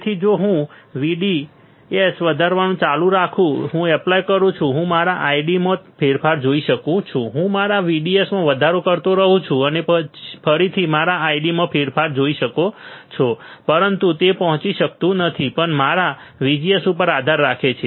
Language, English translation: Gujarati, So, if I apply if I keep on increasing my VDS, I can see change in my I D I keep on increasing my VDS you see again see change in my I D right, but that cannot reach that also has to depend on my VGS right